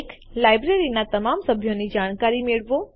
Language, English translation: Gujarati, Get information about all the members in the Library